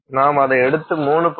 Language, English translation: Tamil, So, if you take a 1